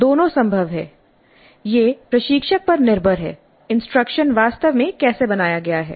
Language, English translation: Hindi, Both are possible, it is up to the instructor how the instruction is really designed